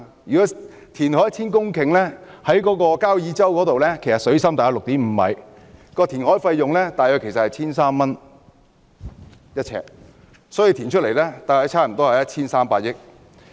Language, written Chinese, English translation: Cantonese, 如果填海 1,000 公頃，以交椅洲水深大約 6.5 米計算，填海費用約為每平方呎 1,300 元，所以填海開支合共約 1,300 億元。, To reclaim 1 000 hectares of land near Kau Yi Chau with water depth of 6.5 m the cost is approximately 1,300 per square foot . The total cost of reclamation will be 130 billion